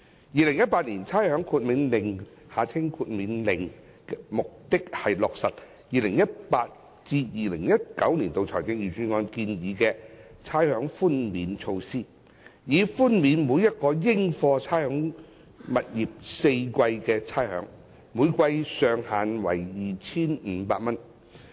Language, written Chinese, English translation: Cantonese, 《2018年差餉令》的目的是落實 2018-2019 年度財政預算案建議的差餉寬免措施，以寬免每個應課差餉物業4個季度的差餉，每季上限為 2,500 元。, The Rating Exemption Order 2018 the Order seeks to give effect to the rates concession proposed in the 2018 - 2019 Budget and declares that all tenements are exempted from the payment of rates up to a maximum of 2,500 for each quarter